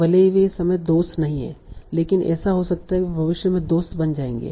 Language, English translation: Hindi, So even if they are not friends at this time, it might happen that they will become friends in the future